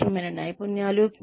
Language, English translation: Telugu, The skills, that are required